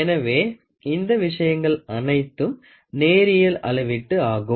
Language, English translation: Tamil, So, all these things are linear measurement